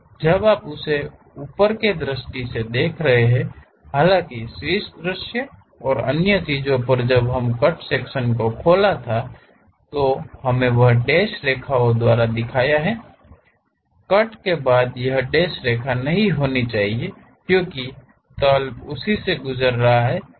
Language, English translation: Hindi, When you are seeing that though at top view and other things when we did open the cut section, we represent by dashed lines, but after cut it should not be a dashed line because plane is passing through that